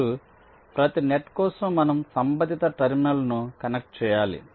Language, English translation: Telugu, now, for every net, we have to connect the corresponding terminal